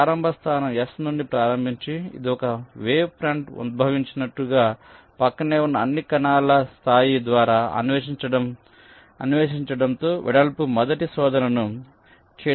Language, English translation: Telugu, starting from the start point s, it tries to carry out a breadth first search by exploring all the adjacent cells level by level, as if a wave front is emanating